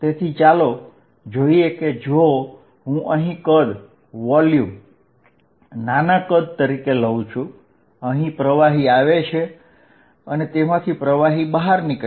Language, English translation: Gujarati, So, let us see if I take a volume small volume here, if whatever that fluid is coming in whatever is leaving is equal